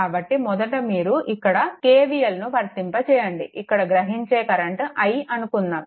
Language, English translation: Telugu, So, first you apply your K V L here say current flowing through this is i